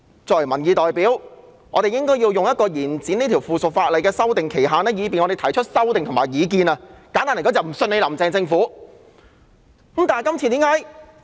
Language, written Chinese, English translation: Cantonese, 作為民意代表，我們應該利用延展這3項附屬法例的修訂期限，提出修訂和意見，簡單而言，就是因為我們不信任"林鄭"政府。, As the representative of the people we should make use of the extension to propose amendments to and express views on the subsidiary legislation . It is simply because we do not trust the Carrie LAM Government